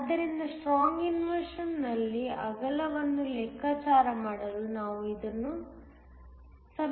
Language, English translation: Kannada, So, we will equate this in order to calculate the width at strong inversion